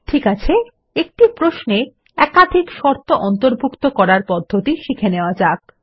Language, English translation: Bengali, Okay, let us also learn another way to include multiple conditions